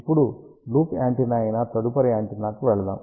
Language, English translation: Telugu, Now, let us shift to the next antenna which is loop antenna